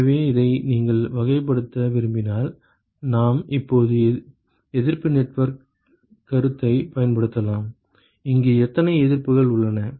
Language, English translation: Tamil, So, if you want to characterize this we can now use the resistance network concept, how many resistances are there here